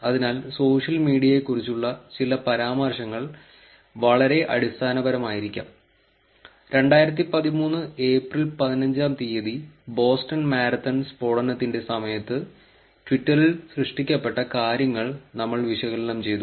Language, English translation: Malayalam, So, some of the mentions about the social media may be very very basic, we analysed one such media twitter for content generated during the event of Boston Marathon Blasts that occurred on April fifteenth two thousand thirteen